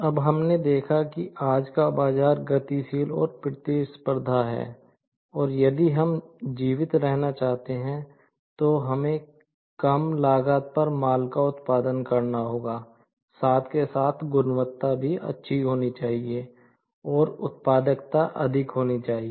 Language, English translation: Hindi, Now, we have seen that the today’s market is dynamic and competitive and if we want to survive, so we will have to produce goods at low cost; at the same time, the quality has to be good and the productivity has to be high